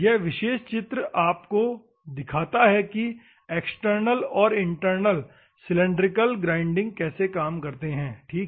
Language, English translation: Hindi, This particular picture shows you how external and internal cylindrical grinding works, ok